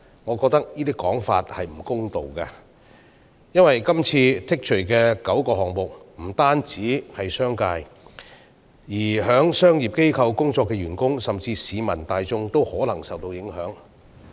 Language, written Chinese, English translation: Cantonese, 我認為這種說法並不公道，因為剔除的9個罪類不單關乎商界，在商業機構工作的員工，甚至市民大眾都可能會受到影響。, I consider such claims to be unfair because the nine items of offences removed will affect not only the business sector and the employees working in commercial organizations but also the general public